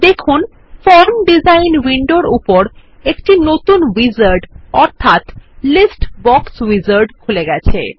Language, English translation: Bengali, Notice that a new wizard called List Box Wizard has opened up over the Form design window